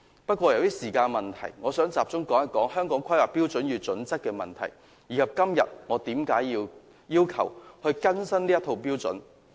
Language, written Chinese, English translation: Cantonese, 不過，由於時間問題，我想集中討論《香港規劃標準與準則》的問題，以及今天我要求更新這套標準的原因。, However due to time constraint I would like to focus our discussion on issues relating to the Hong Kong Planning Standards and Guidelines HKPSG and why I requested an update of HKPSG today